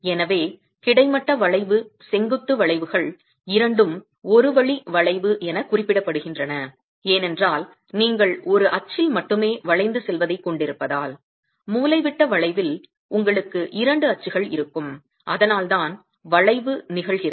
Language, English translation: Tamil, So, both horizontal bending and vertical bending are referred to as one way bending because you have the predominant bending only in about one axis whereas in diagonal bending you will have two axes about which the bending is occurring and that's why we refer to it as diagonal bending